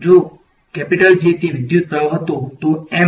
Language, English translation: Gujarati, If J was a electric current then, M is a